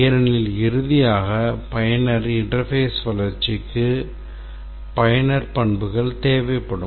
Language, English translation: Tamil, This is also required because finally the user interface development we will need the user characteristics